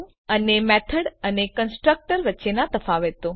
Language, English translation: Gujarati, And Differences between method and constructor